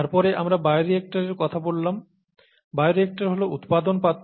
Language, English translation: Bengali, Then we talked of bioreactors; bioreactors are the production vessels